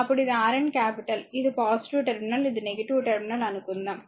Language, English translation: Telugu, So, this is Rn capital, suppose this is your plus terminal this is minus terminal , right